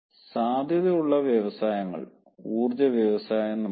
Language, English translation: Malayalam, let us see the potential industries: power industry, power industry we can